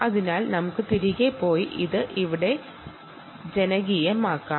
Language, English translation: Malayalam, so lets go back and put this, populate it here